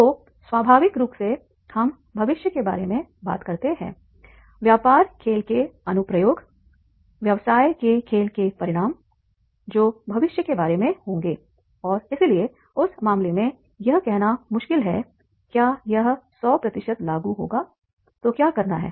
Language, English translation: Hindi, The application of business game, the consequence of business game that will be about the future and therefore in that case it is difficult to say that it will be 100% applicable